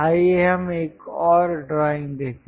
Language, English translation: Hindi, Let us look at other drawing